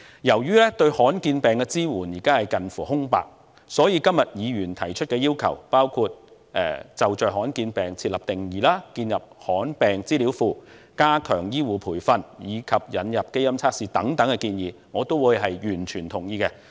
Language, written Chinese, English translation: Cantonese, 由於現時對罕見疾病的支援近乎空白，所以議員今天提出的要求，包括就着罕見疾病設立定義，建立罕見疾病資料系統，加強醫護培訓，以及引入基因測試的建議等，我也完全同意。, Since at present there is almost no support to rare diseases I fully support the requests from Members today including laying down a definition introducing a rare disease information system stepping up health care training and introducing genetic tests